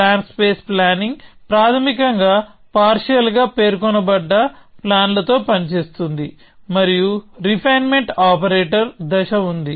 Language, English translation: Telugu, So, plan space planning basically works with partially specified plans, and there is a refinement operator step